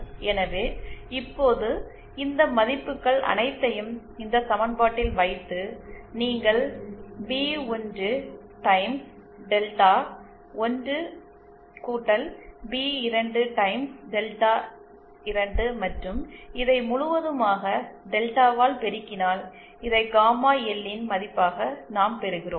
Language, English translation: Tamil, So, then now, putting all these values in this equation, if you multiply P1 Times Delta1 + P2 Times Delta 2 and this whole by delta, we get this as the value of gamma L